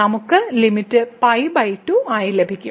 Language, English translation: Malayalam, So, we will get limit as pi by